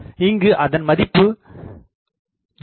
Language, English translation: Tamil, Here we can go only up to 0